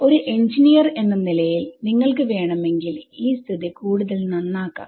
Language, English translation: Malayalam, Now as an engineer if you wanted to make that situation better ok